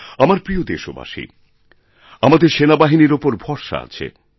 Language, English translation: Bengali, My dear countrymen, we have full faith in our armed forces